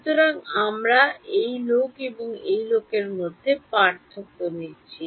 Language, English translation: Bengali, So, we are taking the difference between this guy and this guy